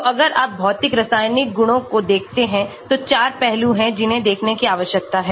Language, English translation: Hindi, So, if you look at the physicochemical properties there are four aspects that needs to be looked at